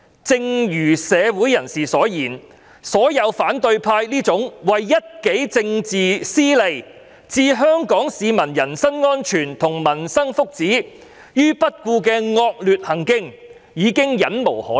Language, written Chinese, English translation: Cantonese, 正如社會人士所言，反對派這種為一己政治私利置香港市民人身安全和民生福祉於不顧的惡劣行徑，已經令人'忍無可忍'。, As commented by the public the malicious act of opposition Members to put their own political interests above the personal safety livelihood and welfare of Hong Kong people has become intolerable